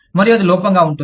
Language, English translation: Telugu, And, that can be a drawback in